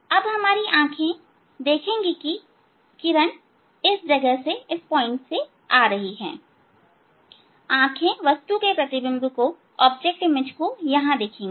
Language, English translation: Hindi, Now, our eye will see that rays are coming from this place, eye will see that ray is coming from this point